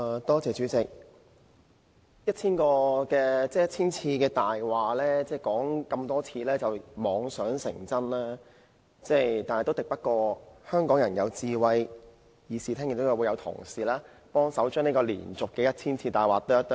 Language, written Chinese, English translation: Cantonese, 代理主席，有人把謊言說了千遍，然後妄想謊言便會成真，但很可惜，這做法敵不過香港人的智慧，議事堂內亦有同事幫忙將這連續說了千遍的謊言剖開。, Deputy President some people have the crazy idea that a lie if repeated a thousand times will become the truth . But regrettably Hong Kong people are too clever to fall for such nonsense not to mention that just now some fellow Members have also helped to crack open this often - repeated lie